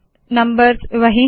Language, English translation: Hindi, Numbers are the same